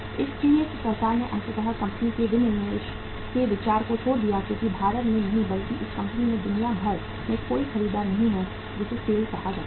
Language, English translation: Hindi, So government finally dropped the idea of disinvesting the company because there is no buyer not in India but around the globe of this company called as SAIL